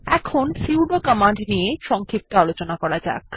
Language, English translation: Bengali, Let me give you a brief explanation about the sudo command